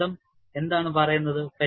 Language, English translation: Malayalam, And what does the theory say